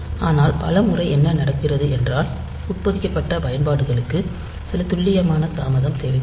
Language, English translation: Tamil, But many times what happens is that for embedded applications you need some precise delay